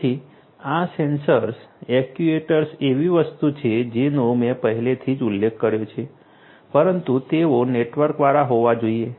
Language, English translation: Gujarati, So, these sensors actuators is something that I have already mentioned right, but they will have to be networked